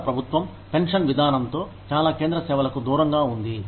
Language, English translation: Telugu, The Indian government has done away, with the pension system, for most central services